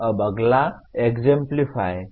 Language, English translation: Hindi, Now next is Exemplify